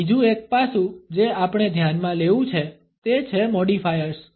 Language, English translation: Gujarati, Another aspect we have to consider is modifiers